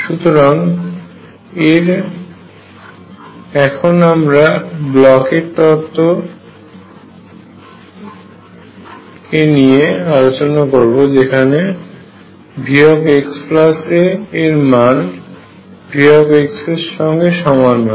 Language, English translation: Bengali, So, I am going to now discuss something called Bloch’s theorem in which case V x plus a is the same as V x